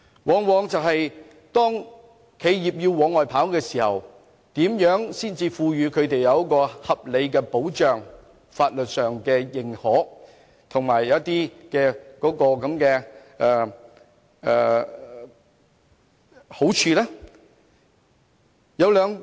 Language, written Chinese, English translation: Cantonese, 當這些企業往外跑時，他們如何可以獲得在法律上合理的、認可的並對他們有好處的保障呢？, In this process how can these enterprises be protected by sound and certified legal advice that covers their interests?